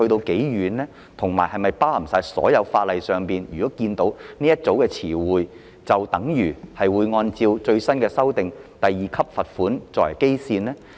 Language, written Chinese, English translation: Cantonese, 有關的修訂是否涵蓋所有法例，以致凡看到相同的詞彙，便自動以新訂的第2級罰款作為基準？, Does the relevant amendment apply to all legislation such that any reference to the same term will be automatically revised using the new benchmark of a fine at level 2?